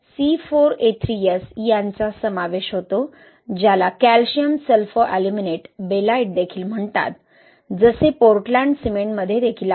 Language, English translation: Marathi, It comprises of Ye'elimite, also called C4A3S, Calcium Sulfoaluminate, Belite as you know also present in Portland cement